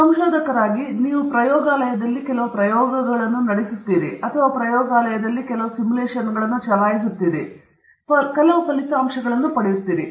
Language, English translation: Kannada, So as a researcher, you run some experiments in the lab or you run some simulation in the lab and you get some results